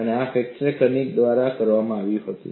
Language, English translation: Gujarati, And this was actually done by Kanninen